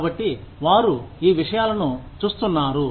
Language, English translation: Telugu, So, they are looking, at these things